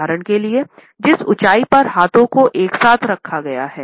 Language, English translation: Hindi, For example, the height at which the clenched hands have been held together